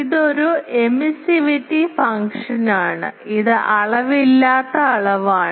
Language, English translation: Malayalam, This is an emissivity function, it is a dimensionless quantity